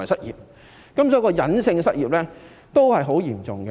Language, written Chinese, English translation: Cantonese, 因此，隱性失業也是很嚴重的。, Thus hidden unemployment is also very serious